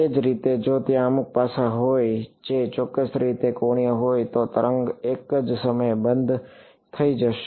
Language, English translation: Gujarati, Right so, if there is some facet which is angled at a certain way the wave will go off at the same time